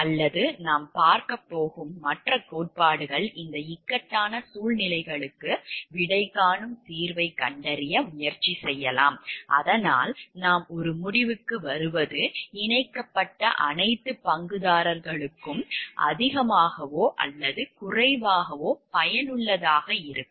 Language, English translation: Tamil, Or maybe other theories that we are going to visit, and try to find out a solution to answer these dilemmas so that what we come to the conclusion is more or less beneficial to everyone to all the stakeholders which are connected